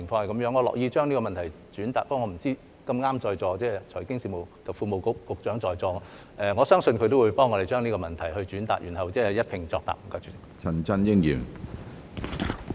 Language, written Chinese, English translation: Cantonese, 我樂意將這個問題轉達，但我不知道......碰巧財經事務及庫務局局長在座，我相信他也會幫我們將這個問題轉達，然後一併作答。, I will be pleased to relay the question but I do not know It just so happens that the Secretary for Financial Services and the Treasury is present . I believe he will relay this question on our behalf and then give a joint reply